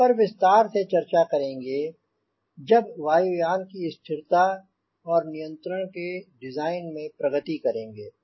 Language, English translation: Hindi, we will be talking about this in detail as you progress into design of stability and control for the airplane